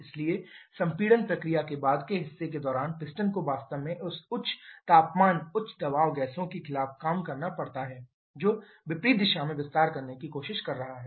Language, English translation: Hindi, So, during the later part of the compression process the piston actually has to do work against this high temperature high pressure gases which is trying to expand in the opposite direction